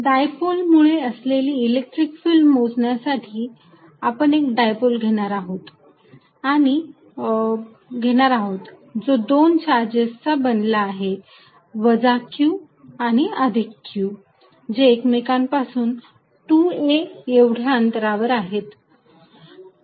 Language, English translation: Marathi, To calculate the field due to a dipole, I am going to be more specific a point dipole what we are going to do is take the dipole to be made up of 2 charges minus q and plus q separated by distance 2a